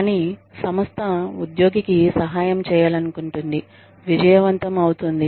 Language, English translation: Telugu, But, the organization, wants to help the employee, succeed